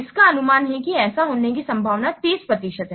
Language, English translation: Hindi, It estimates that there is 30% chance of happening this